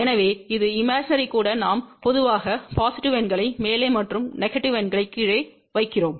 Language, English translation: Tamil, So, even imaginary we generally put positive numbers above and negative numbers down below